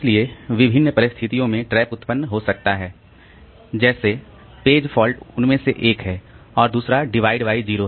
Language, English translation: Hindi, So, there may be trap generated for different situations like page fault is one of them, then divide by zero is another one